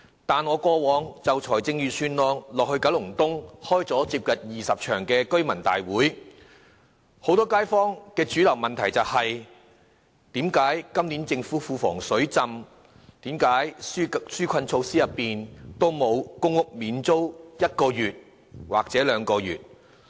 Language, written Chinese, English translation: Cantonese, 但是，我過往就預算案在九龍東召開了接近20場居民大會，很多街坊的主流問題是：既然今年政府庫房"水浸"，為何紓困措施中沒有公屋免租1個月或2個月？, However I have convened nearly 20 residents meetings on the Budget this year in Kowloon East and the mainstream views expressed by a lot of local residents are Since the Treasury is flooded with money this year how come a rent waiver of one or two months for public housing tenants is not included in the relief measures announced?